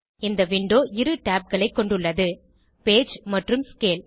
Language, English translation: Tamil, This window contains two tabs Page and Scale